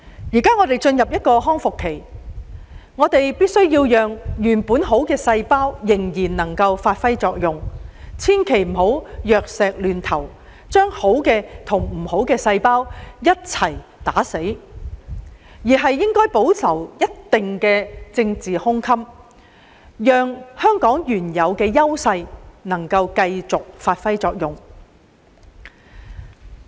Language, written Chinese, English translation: Cantonese, 現在我們已進入康復期，必須讓原有的好細胞繼續發揮作用，千萬不能藥石亂投，把好的和壞的細胞一併消滅，而應保留一定的政治胸襟，讓香港的原有優勢繼續發揮作用。, We have now entered a stage of recovery during which we must ensure that the good cells we originally have may continue to perform their functions . We must avoid making hasty and wasteful efforts thus killing the good cells together with the bad ones . Instead we should maintain a certain degree of political magnanimity and enable Hong Kong to continue to put into play its original advantages